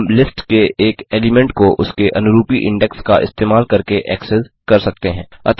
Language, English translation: Hindi, We access an element of a list using its corresponding index